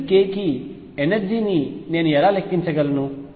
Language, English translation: Telugu, How do I calculate the energy for each k